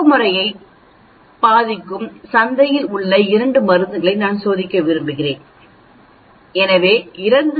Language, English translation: Tamil, So, imagine I am testing 2 drugs in the market which affects this sleeping pattern